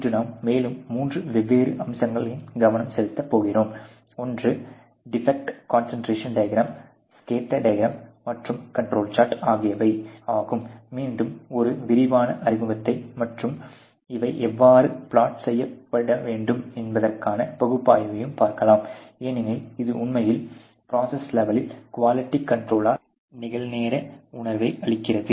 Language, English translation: Tamil, Today we will focus on three more different aspects; one is the defect concentration diagram, the scatter diagram, and the control charge which again would have a very detailed introduction and analysis as to how these are to be plodded, because this really giving a real time sense of control of quality on the process level